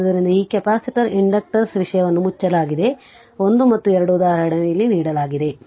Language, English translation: Kannada, So, with this capacitor inductors topic is closed 1 and 2 example is given here